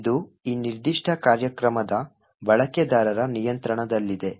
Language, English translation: Kannada, So, it is in control of the user of this particular program